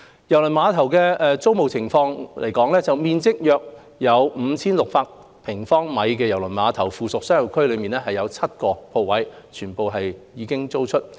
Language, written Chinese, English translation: Cantonese, 郵輪碼頭租務狀況方面，面積約為 5,600 平方米的郵輪碼頭附屬商業區內的所有7個鋪位已經租出。, As for the leasing condition at KTCT all seven shops in the ancillary commercial area with a total area of about 5 600 sq m were leased